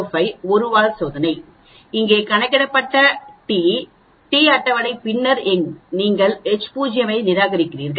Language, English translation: Tamil, 05 one tail test, the t calculated here is greater than table t then you reject the H naught